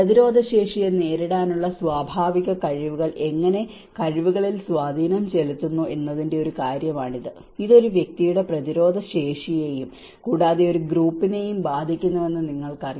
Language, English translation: Malayalam, And this is one thing which is actually creating an impact on the abilities how the natural abilities to cope up the immunities, you know it is affecting the immunity of an individual and collectively as a group as well